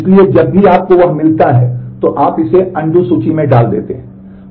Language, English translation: Hindi, So, whenever you get that, then you put this into the undo list